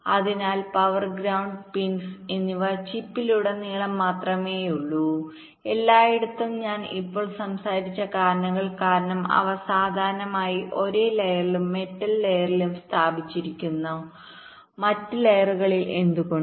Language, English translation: Malayalam, so the power and ground pins are only present across the chip, there everywhere, and because of the reasons i just now talked about, they are typically laid on the same layer and on the metal layer, not on the other layers